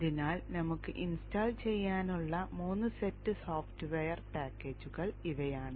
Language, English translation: Malayalam, So these three set of software packages we need to install